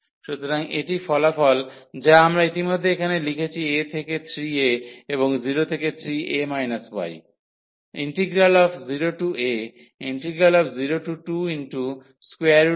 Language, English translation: Bengali, So, this is the result which we have written already here from a to 3 a and 0 to 3 a minus y